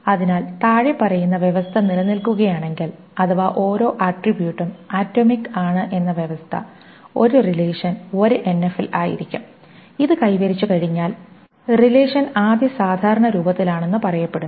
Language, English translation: Malayalam, The first normal form which is the 1NF so a relation is in 1NF if the following condition holds is that every attribute is atomic as soon as this is achieved then the is achieved, then the relation is said to be in the first normal form